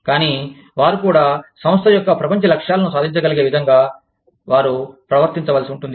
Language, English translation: Telugu, But, they also have to perform, in such a way, that they are able to achieve, the global goals of the organization